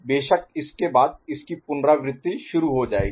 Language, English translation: Hindi, After that, again it starts repeating